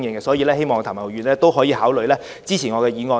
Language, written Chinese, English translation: Cantonese, 所以，希望譚文豪議員考慮支持我的議案。, So I hope Mr Jeremy TAM can consider supporting my motion